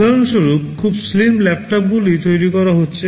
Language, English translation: Bengali, Like for example, the very slim laptops that are being built